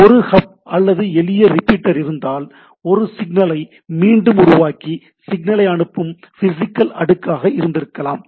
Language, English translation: Tamil, If there is a hub or simple repeater, then it could have been the physical thing which is only regenerating the signal and transmitting the signal right